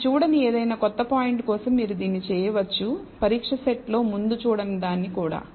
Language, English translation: Telugu, So, you can do this for any new point which you have not seen before in the test set also